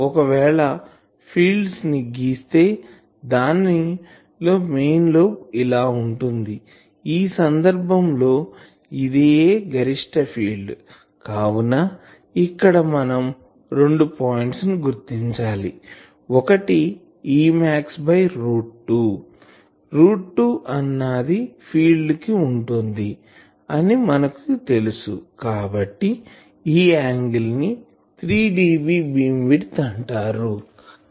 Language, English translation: Telugu, So, if I plot a field and it has got a main lobe like this , then in that case, this is the maximum field and then we locate two points; one is E max by root 2 , you know this that for fields we have this root 2